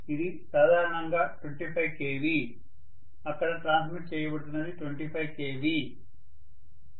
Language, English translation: Telugu, It is generally 25 KV, what is being transmitted there is 25 KV